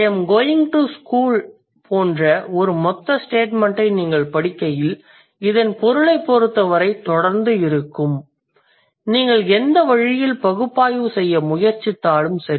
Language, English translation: Tamil, So, when you utter a total statement like I am going to school, it remains consistent as far as the meaning is concerned, no matter in which way you try to analyze it